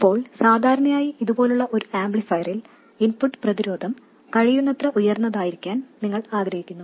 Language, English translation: Malayalam, Now typically in an amplifier like this you would want the input resistance to be as high as possible